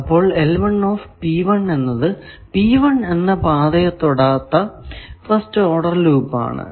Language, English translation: Malayalam, L 1 P 2, first order loop not touching path P 2, etcetera